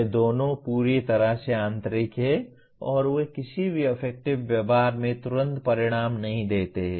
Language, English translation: Hindi, These two are completely internal and they do not immediately kind of result in any affective behavior